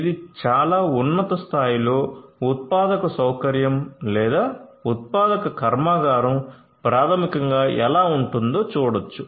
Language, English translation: Telugu, So, this is at a very high level how a manufacturing facility or a manufacturing plant basically is going to look like